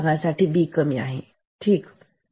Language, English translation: Marathi, In this part B is low ok